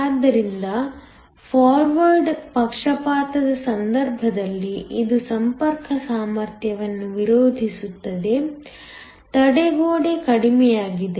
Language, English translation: Kannada, So, in the case of forward bias because this opposes the contact potential, the barrier is lowered